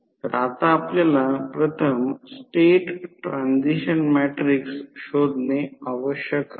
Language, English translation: Marathi, So, now we need to find out first the state transition matrix